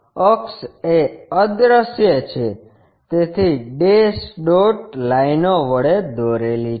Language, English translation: Gujarati, Axis is invisible, so dash dot lines